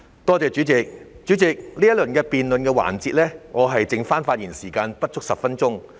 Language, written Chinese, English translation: Cantonese, 代理主席，在這個辯論環節，我的發言時間剩餘不足10分鐘。, Deputy President I have less than 10 minutes of speaking time in this debate session